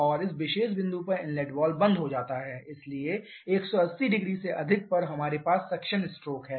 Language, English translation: Hindi, And at this particular point inlet valve closes, so over 180 degree we have the suction stroke